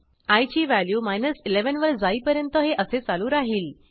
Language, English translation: Marathi, This goes on till i reaches the value 11